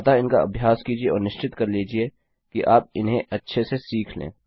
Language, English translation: Hindi, So, practice these and make sure you learn them well